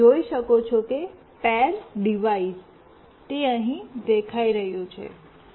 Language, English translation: Gujarati, You can see that the pair device, it is showing up here